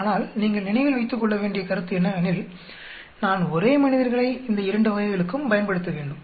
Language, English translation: Tamil, But the point is you need to remember, I need to use the same subjects in both the cases